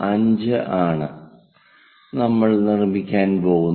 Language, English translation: Malayalam, 5 we are going to construct